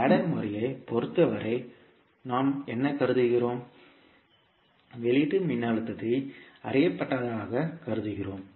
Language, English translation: Tamil, In case of ladder method, what we assume, we assume output voltage as known